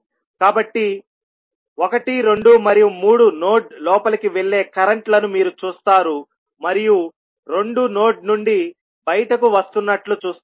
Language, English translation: Telugu, So, you will see 1, 2 and 3 are the currents which are going inside the node and 2 are coming out of the node